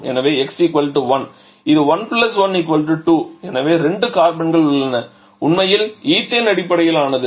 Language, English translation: Tamil, So, there is x = 1, so it is 1 + 1 = 2, so there are 2 carbons so that is actually ethane based